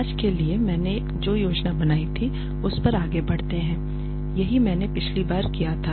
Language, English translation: Hindi, Let us move on to what I had planned for today this was what we did last time